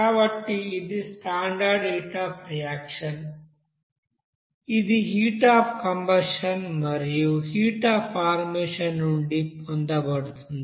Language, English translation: Telugu, So this is the you know standard heat of reaction which are obtained from heat of combustion and heat of formation